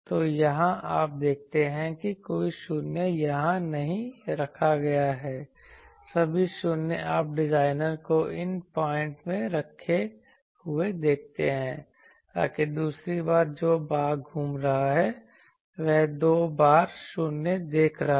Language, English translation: Hindi, So, here you see that no 0s are kept here so, the all the 0s you see the designer has placed in these points so that the second time the portion that is circling that is seeing a twice 0